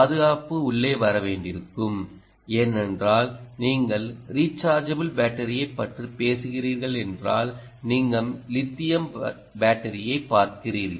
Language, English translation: Tamil, protection, we will have to come in, because if you are talking about a rechargeable battery, you are looking at lithium ah battery